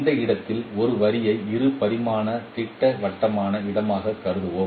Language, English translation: Tamil, Let us consider a line in this space, two dimensional projective space